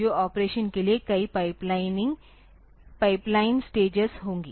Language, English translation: Hindi, So, there will be number of pipeline stages for the operation